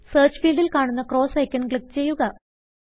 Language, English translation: Malayalam, Now, in the Search field, click the cross icon